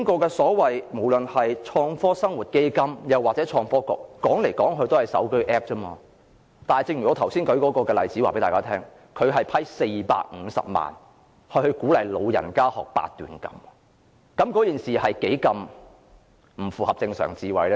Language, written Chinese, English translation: Cantonese, 現時不論是創科基金或創科局，說來說去也是手機 App 而已，但正如我剛才舉出的例子，創科基金撥款450萬元給老人家學習八段錦，是多麼不符合正常智慧。, At present regardless of the FBL or the Innovation and Technology Bureau the thing that is being said over and over again is nothing more than smartphone app but just as what I have shown in my example it was a far cry from the normal wisdom when the FBL allocated 4.5 million for the elderly to practice Baduanjin